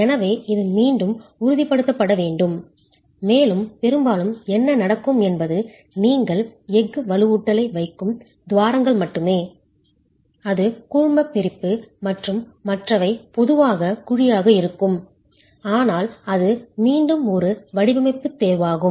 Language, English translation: Tamil, So, this again needs to be ensured and most often what would happen is only the cavities where you place steel reinforcement, it's grouted and the others are typically left hollow but then that's again a design choice